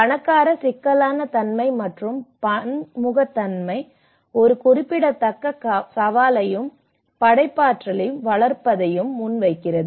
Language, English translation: Tamil, The rich complexity and diversity presents a significant challenge as well as foster creativity